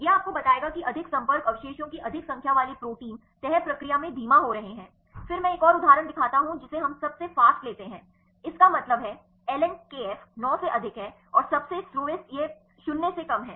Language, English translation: Hindi, This will tell you that the proteins with the more number of the multiple contact residues are slowing down in the folding process, then I show another example we take the fastest; that means, ln kf is more than nine and the slowest this is less than 0